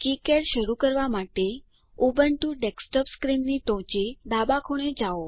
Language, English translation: Gujarati, To start KiCad, Go to the top left corner of Ubuntu desktop screen